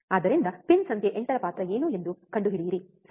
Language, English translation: Kannada, So, find it out what is the role of pin number 8, alright